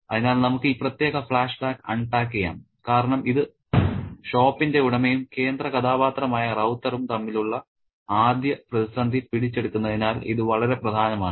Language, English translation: Malayalam, So, let's unpack this particular flashback because this is very important as it captures the first crisis between the owner of the shop and the central character Ravata